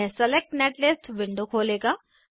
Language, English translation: Hindi, Here the netlist window opens